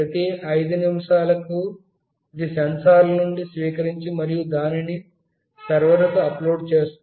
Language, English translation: Telugu, Every 5 minute, it will read from the sensors, and it will upload to the server